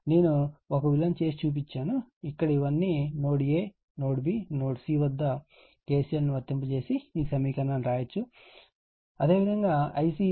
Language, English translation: Telugu, I showed you one, here is all these all these your here at node A node B node C you apply KCL and you will get this equation, your right you will get this equation